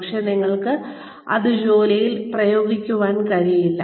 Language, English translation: Malayalam, But, you are not able to use it on the job